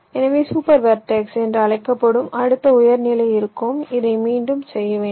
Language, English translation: Tamil, so the next higher level, that single so called super vertex, will be there, and you go on repeating this